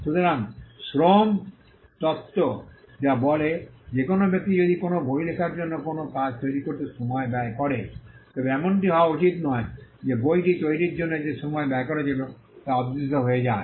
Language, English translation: Bengali, So, the labour theory which states that if a person expense time in creating a work for instance writing a book then it should not be that the labour that was spent in creating the book goes unrewarded